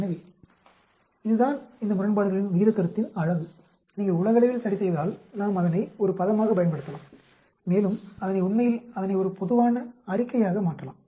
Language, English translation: Tamil, So, that is the beauty of this concept of odd ratio, we can use it as a term if you adjust globally and make it a general statement actually